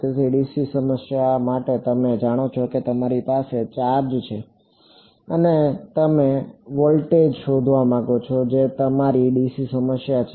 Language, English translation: Gujarati, So, for a dc problem what is the you know you have a charge and you want to find out voltage that is your dc problem